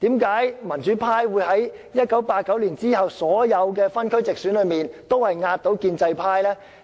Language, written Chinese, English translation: Cantonese, 為何民主派在1989年之後的所有分區直選中，均壓倒建制派呢？, Why the democratic camp has won over pro - establishment camp in all geographical direct elections straight after 1989?